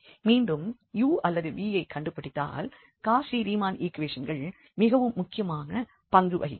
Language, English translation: Tamil, So, here again the finding u or v the Cauchy Riemann equations play important role